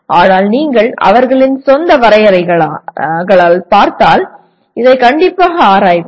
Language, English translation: Tamil, But if you look at by their own definitions, let us strictly go through this